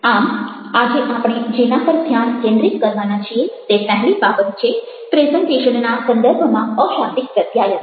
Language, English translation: Gujarati, so the first thing that we are going to focus on today is on non verbal communication in the context of presentation